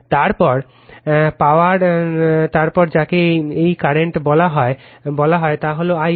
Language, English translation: Bengali, Then the power then the your what you call this current is I L